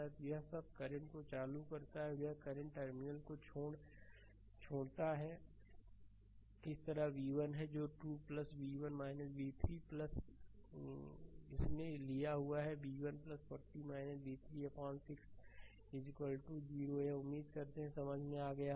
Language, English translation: Hindi, So, all this current this current this current and this current leaving the terminal so, that is v 1 by 2 plus v 1 minus v 3 by 1 plus this i we have taken, v 1 plus 40 minus v 3 upon 6 that is equal to this is equal to 0 I hope you have understood this right